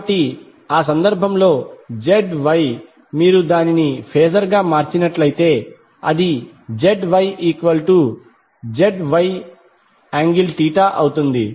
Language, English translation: Telugu, So in that case the Z Y if you convert it into phaser it will be magnitude with some angle Theta